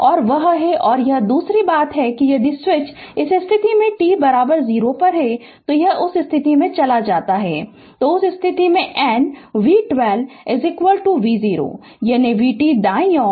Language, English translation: Hindi, And that is your and second thing is if switch moves from this position to that position at t is equal to 0, then at that time your what you call v 1 2 is equal to v 0 that is v t right is equal to v 0